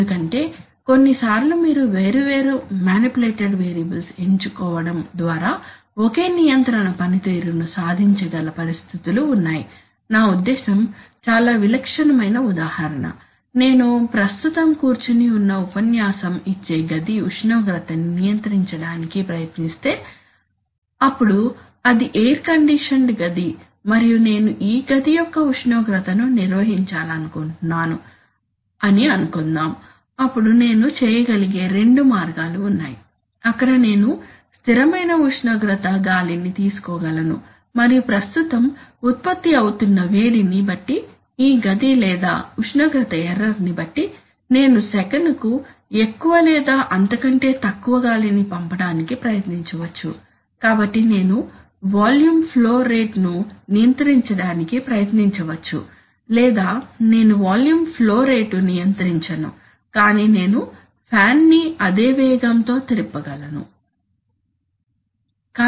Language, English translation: Telugu, Because sometimes there are situations where you can achieve same control performance by choosing different manipulated variables I mean a very typical example would be, let us say if I try to control the temperature of the room in which I am right now sitting and giving his lecture then it is an air conditioned room and suppose I want to maintain the temperature of this room, then there are two ways that I can do it there is either I can take a constant temperature air and depending on the heat being produced at present in this room or depending on the temperature error I can try to send more or less volume of air per second, so I can either try to control the volume flow rate or I can try to control the or i can say that no I will not control the volume flow rate, so i am going to run the fan at the same speed